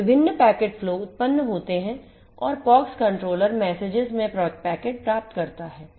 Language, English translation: Hindi, So, different packet flows are generated and the POX controller receives the packet in messages